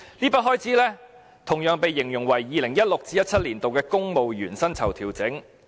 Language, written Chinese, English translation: Cantonese, 這筆開支的原因同樣形容為 "2016-2017 年度公務員薪酬調整"。, Such an appropriation is also described as 2016 - 2017 civil service pay adjustment